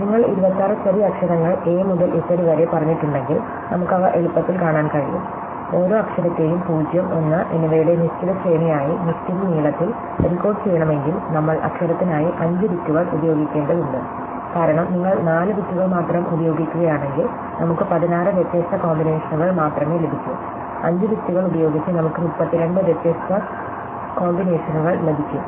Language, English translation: Malayalam, So, if you have say the 26 lower case letters a to z, then it is easy to see that we need to if you want to encode each letter as a fixed sequence of 0Õs and 1Õs by fixed length, then we will need to use 5 bits per letter, because if you use only 4 bits, we can only get 16 different combinations, with 5 bits we can get 32 different combinations